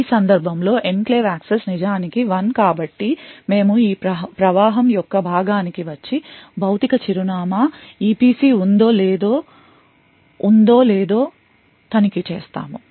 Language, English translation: Telugu, So in this case the enclave access is indeed 1 so we come to this part of the flow and check a whether the physical address is in the EPC yes